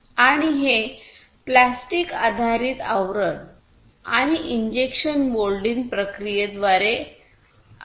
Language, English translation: Marathi, And this is a plastic based casing and through injection moulding process